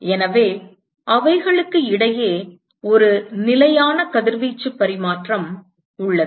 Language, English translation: Tamil, So, there is a constant exchange of radiation between them